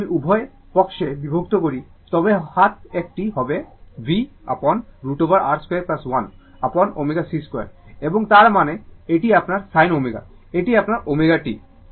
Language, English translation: Bengali, If I divide both side, then right hand side will be v upon root over R square plus 1 upon omega c square right and that means, this one this is your sin omega, this is your sin omega t